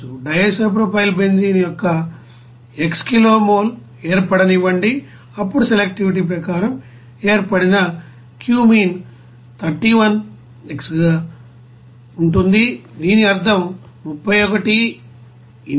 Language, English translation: Telugu, Let x kilo mole of DIPB is formed then cumene formed will be as 31 into x as per selectivity, whose implies that 31 x will be equal to 173